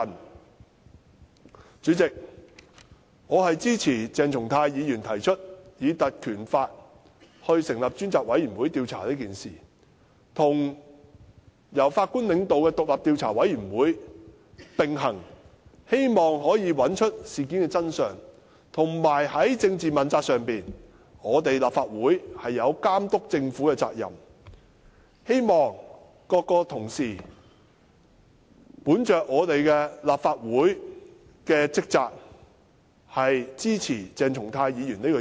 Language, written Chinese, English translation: Cantonese, 代理主席，我支持鄭松泰議員提出根據《立法會條例》成立專責委員會調查此事，與由法官領導的獨立調查委員會並行，希望可以找出事件的真相，以及在政治問責上，立法會有監督政府的責任，希望各同事以立法會的職責為本，支持鄭松泰議員的議案。, The select committee can work in parallel with the judge - led Commission of Inquiry to find out the truth of the incident . In respect of political accountability the Legislative Council is duty - bound to monitor the Government . I hope that Honourable colleagues will perform their duties as Legislative Council Members and support Dr CHENG Chung - tais motion